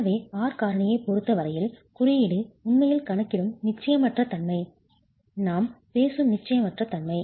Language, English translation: Tamil, As far as the R factor is concerned, that's the uncertainty that we're talking about